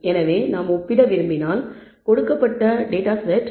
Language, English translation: Tamil, So, if we want to compare, whether a set of given a given set of data